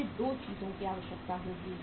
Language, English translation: Hindi, We will have to require 2 things